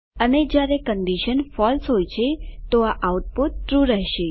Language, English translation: Gujarati, And when the condition is false the output will be true